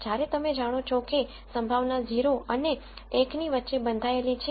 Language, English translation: Gujarati, Whereas you know that the probability has to be bounded between 0 and 1